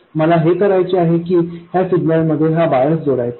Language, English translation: Marathi, What I want to do is to add this bias to that signal